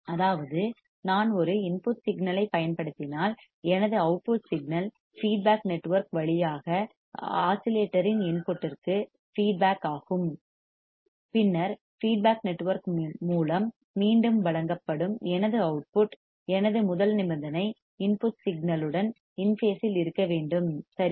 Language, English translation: Tamil, That means, if I apply a input signal my output signal is feedback through the feedback network to the input of the oscillator, then my output which is fed back through the feedback network should be in phase with the input signal that is my first condition right